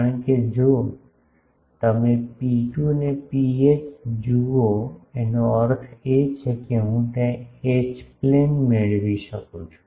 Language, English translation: Gujarati, Because, if you see rho 2 and rho h means if I get those H plane these are in